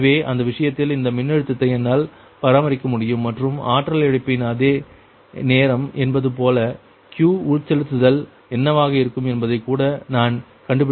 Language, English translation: Tamil, also, i have to find out what will be the q injection such that i can maintain this voltage and such the same time of the power loss